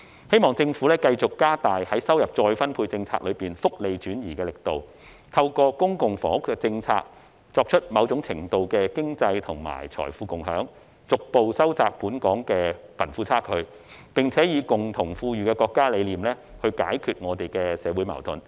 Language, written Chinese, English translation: Cantonese, 希望政府繼續加大在收入再分配政策中福利轉移的力度，透過公共房屋政策，作出某種程度的經濟和財富共享，逐步收窄本港的貧富差距，並且以共同富裕的國家理念來解決香港的社會矛盾。, I hope the Government will continue to step up efforts in social transfer under the income redistribution policies and facilitate economic and wealth sharing to a certain extent through public housing policies in a bid to narrow the disparity between the rich and the poor gradually and solve the social conflicts in Hong Kong with our countrys vision of common prosperity